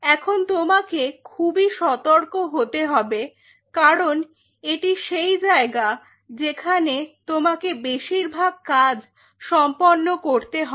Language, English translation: Bengali, Now here you have to be really careful because this is the zone where most of your work will be happening